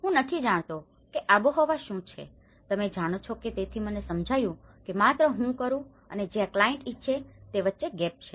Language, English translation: Gujarati, I don’t know what is a climate, so it is only just I was doing I realized that you know that’s where there is a gap between what the client wants